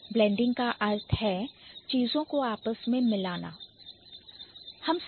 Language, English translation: Hindi, So, blending means mixing things together